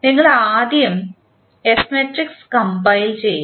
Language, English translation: Malayalam, We will first compile the S matrix